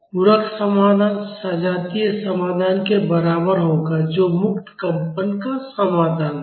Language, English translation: Hindi, The complementary solution will be equal to the homogeneous solution that is the solution to free vibrations